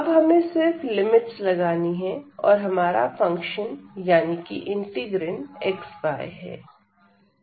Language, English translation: Hindi, So, now, we need to just put the limits and the function will be xy